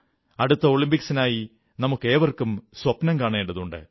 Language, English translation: Malayalam, Each one should nurture dreams for the next Olympics